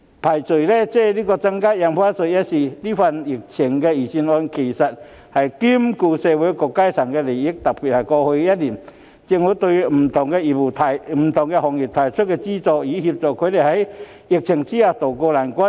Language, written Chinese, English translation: Cantonese, 撇開增加印花稅一事，這份針對疫情的預算案兼顧到社會各階層的利益，特別是過去一年，政府對不同行業提供資助，協助他們在疫情下渡過難關。, Leaving aside the increase in Stamp Duty this pandemic - oriented Budget has taken into account the interests of various sectors of society . In particular in the past year the Government provided subsidies to different industries to help them tide over the difficult time arising from the epidemic